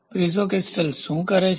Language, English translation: Gujarati, So, what is the Piezo crystal do